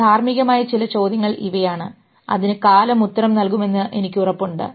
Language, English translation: Malayalam, These are some of the ethical questions which I am sure time will answer